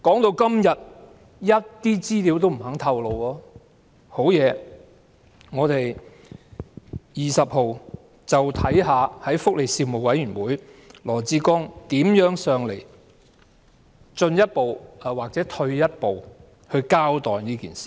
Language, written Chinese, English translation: Cantonese, 我們且看看在本月12日的福利事務委員會上，羅致光局長如何向我們進一步或退一步交代事件吧。, Just wait and see what additional information if any Secretary Dr LAW Chi - kwong will tell us about this matter at the meeting of the Panel on Welfare Services on 12 November